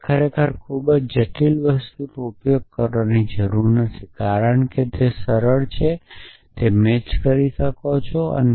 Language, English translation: Gujarati, That we do not have to really use a very complicated, because it is very simple you can match it